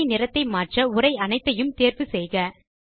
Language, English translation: Tamil, To change the color of the table, first select all the text